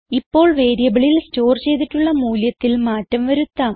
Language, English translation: Malayalam, Now let us change the value stored in the variable